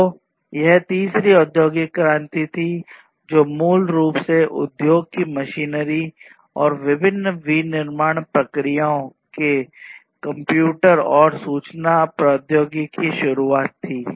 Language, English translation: Hindi, So, that was the third industrial revolution, which was basically the introduction of computers and infra information technology in the different machinery and manufacturing processes in the industry